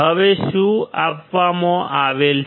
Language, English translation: Gujarati, Now, what is given